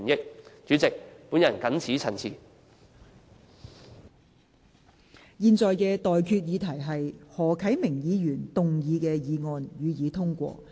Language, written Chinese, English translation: Cantonese, 我現在向各位提出的待議議題是：何啟明議員動議的議案，予以通過。, I now propose the question to you and that is That the motion moved by Mr HO Kai - ming be passed